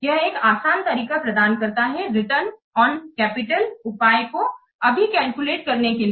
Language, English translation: Hindi, It provides a simple and easy to calculate measure of return on capital